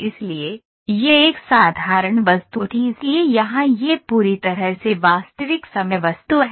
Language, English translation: Hindi, So, there it was a simple object so here it is a completely real time object